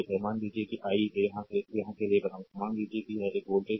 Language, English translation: Hindi, Suppose I will making it for here I will making it for suppose this is your voltage source